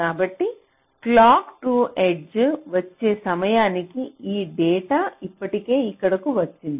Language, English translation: Telugu, so when clock two comes, this data is already come here